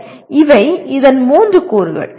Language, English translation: Tamil, Okay, these are the three elements of this